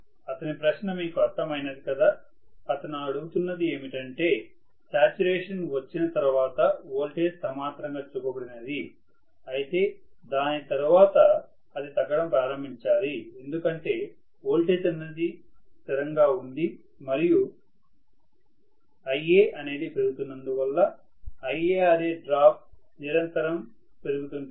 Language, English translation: Telugu, You got his question what he is asking is if the voltage is shown to be flat the saturation has been you know attained then after that itself it should start dropping right away because the voltage is a constant IaRa drop is continuously increasing as my Ia is increasing, so you should not have any flat portion at all, it should start dropping right away